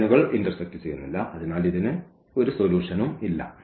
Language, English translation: Malayalam, Well so, these lines do not intersect and this is the case of no solution